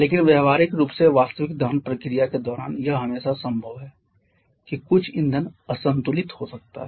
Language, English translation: Hindi, But practically during the actual combustion process it is always possible that some fuel may get unburned